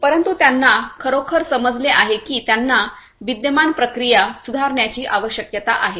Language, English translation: Marathi, But, they really understand that they need to improve their existing processes